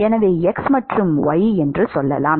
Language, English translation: Tamil, So, let us say x and y